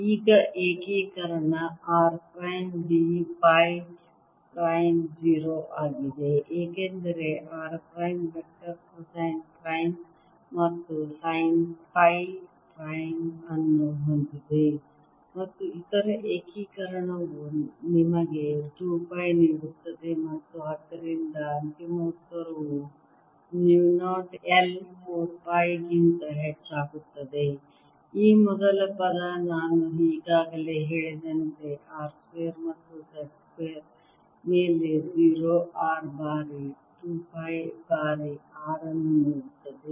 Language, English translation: Kannada, alright, now integration r prime, d phi prime is zero because r prime vector has cosine prime and sine phi prime and the other integration gives you two pi and therefore the final answer comes out to be mu zero i over four pi